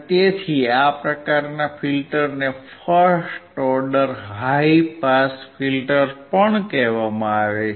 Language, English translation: Gujarati, So, this type of filter is also called first order high pass filter